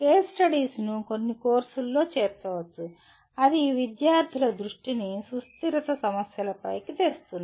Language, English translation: Telugu, Case studies can be incorporated in some courses that will bring the attention of the students to sustainability issues